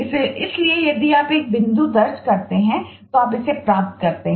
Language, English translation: Hindi, so if you enter a point, you get it